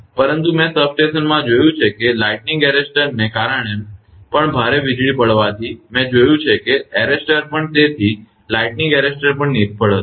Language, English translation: Gujarati, But I have seen in substation that lightning arrester also due to that heavy lightning stroke, I have seen that even arrester also so a lightning arrester also failed